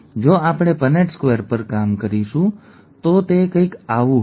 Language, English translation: Gujarati, If we work out the Punnett square, it is going to be something like this